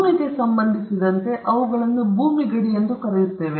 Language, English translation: Kannada, In the case of the land, we call them the boundaries of the land